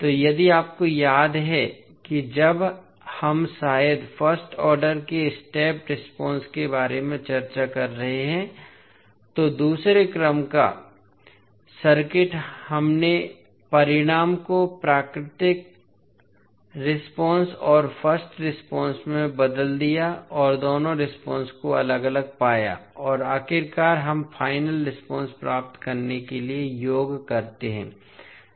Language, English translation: Hindi, So, if you remember when we are discussing about the step response of maybe first order, second order circuit we converted the solution into natural response and the first response and the found both of the response separately and finally we sum then up to get the final response